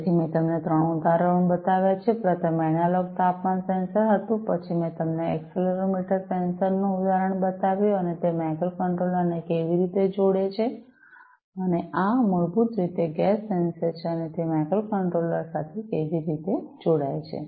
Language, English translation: Gujarati, So, I have shown you 3 examples; the first one was the analog temperature sensor then I have shown you the example of the accelerometer sensor, and how it connects to the microcontroller and this one is basically a gas sensor, and how it connects to the microcontroller